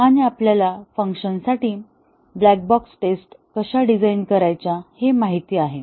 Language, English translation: Marathi, And, we know how to design black box tests for a function